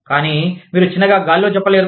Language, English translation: Telugu, But, you cannot say that, in thin air